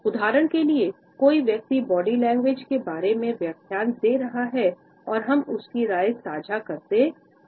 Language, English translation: Hindi, For example, someone is holding a lecture about body language and we share his opinion hmm, that seems about right